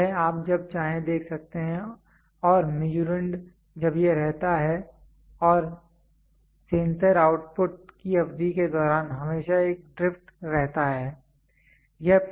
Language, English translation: Hindi, So, this you can see as and when the Measurand it keeps and going over a period of time the sensor output there is always a drift